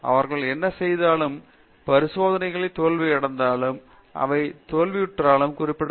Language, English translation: Tamil, Whatever they do, even if your experiment is fail that, they should mention as fail